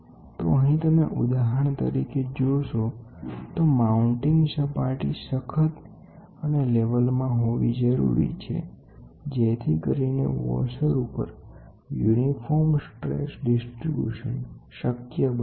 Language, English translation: Gujarati, So, you see here for example, the supporting and the mounting surface should be level and rigid to give a uniform stress distribution across the washer